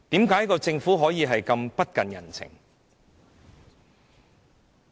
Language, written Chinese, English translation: Cantonese, 為何政府可以如此不近人情？, Why is our Government so insensitive?